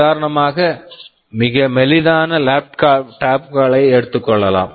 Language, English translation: Tamil, Like for example, the very slim laptops that are being built